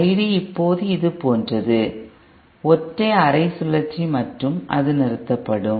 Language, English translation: Tamil, I D is now like this, a single half cycle and then it stops